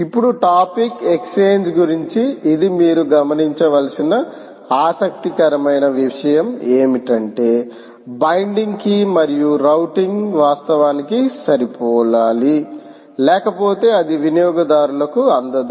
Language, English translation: Telugu, this is an interesting thing that you have to note is that the binding key and the routing should actually match, otherwise it will not get delivered to the consumers